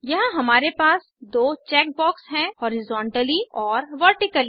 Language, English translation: Hindi, Here we have two check boxes Horizontally and Vertically